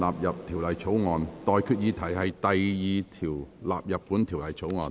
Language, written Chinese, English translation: Cantonese, 我現在向各位提出的待決議題是：第2條納入本條例草案。, I now put the question to you and that is That clause 2 stand part of the Bill